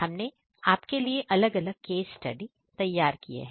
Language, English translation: Hindi, So, there are different case studies that we have prepared for you